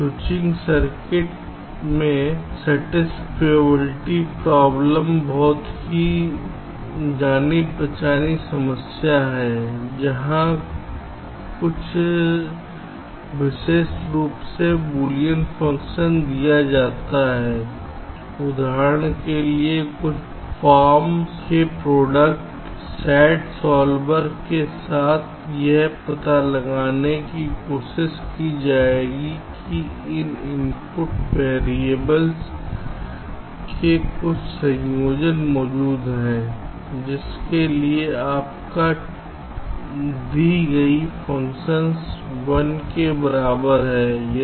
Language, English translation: Hindi, satisfiability problem is a very well known problem in switching circuits where, given a boolean function in some special form say, for example, the product of some forms the sat solver will trying to find out whether there exists some combination of the input variables for which your given function is equal to one